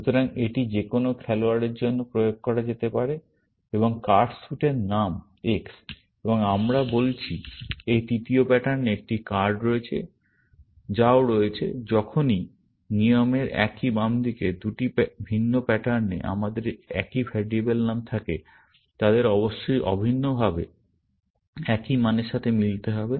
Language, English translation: Bengali, So, it could be applied to any player, and card suit s name X, and we are saying, in this third pattern that there is a card, which is also; whenever, we have same variable name in two different patterns in the same left hand side of the rule, they must match identically, to the same value, essentially